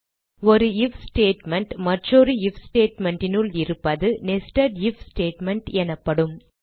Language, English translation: Tamil, This process of including an if statement inside another, is called nested if